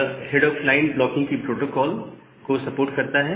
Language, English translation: Hindi, And it supports something called head of line blocking free protocol